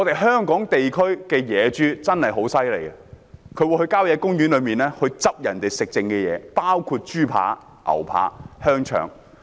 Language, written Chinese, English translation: Cantonese, 香港地區的野豬很厲害，牠們會在郊野公園吃人們遺下來的食物，包括豬扒、牛扒、香腸。, The wild pigs in Hong Kong are very smart . They will eat the leftovers from visitors in country parks including pork chops steaks and sausages